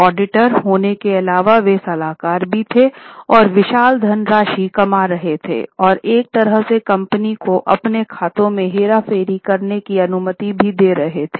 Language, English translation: Hindi, Apart from being auditors, they were also consultants and making huge amount of money and in a way allowing the company to manipulate their accounts